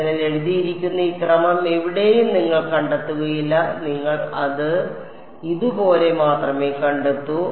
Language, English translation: Malayalam, So, you will not find this order of d n written anywhere you will only find it as